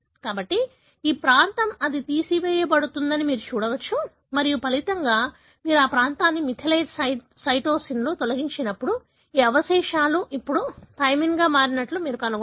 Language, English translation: Telugu, So, this region, you can see that that is being removed and as a result, when you remove this region in the methylated cytosine, you would find that this residue now becomes thymine